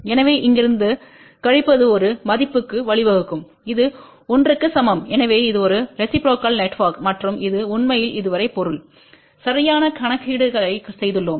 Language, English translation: Tamil, So, subtraction from here to here will lead to a value which is equal to 1 so that means, this is a reciprocal network and that really means that so far we have done the current calculations